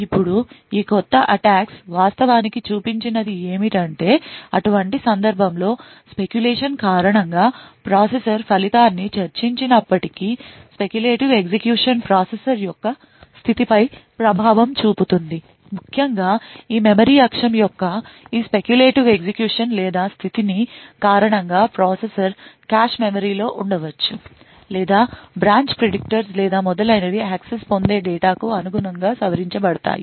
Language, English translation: Telugu, Now what these new attacks actually showed was that even though the processor discussed the result due to speculation in such a case the speculative execution has an effect on the state of the processor, essentially due to this speculative execution of this memory axis or the state of the processor may be in the cache memories or the branch predictors or so on may be modified corresponding to the data which gets accessed